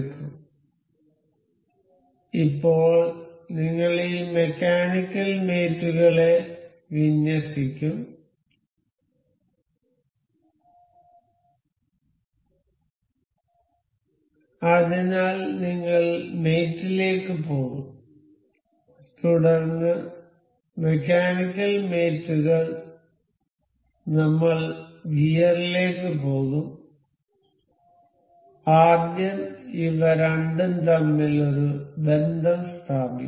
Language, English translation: Malayalam, So, now, we will align this mechanical mates so, we will go to mate then the mechanical mates I will go to gear first I will set up a relation between these two